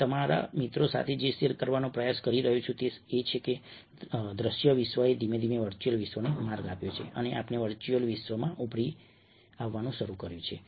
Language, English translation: Gujarati, what i am trying to share you, with you, friends, is that the visual world has gradually given way to virtual world and we have started emerging in the virtual world